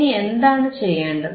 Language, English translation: Malayalam, Now, what we will do